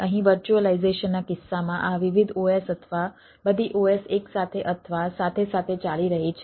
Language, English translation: Gujarati, here, in case of virtualization, this ah different os or all the os s are running ah together, right, or simultaneously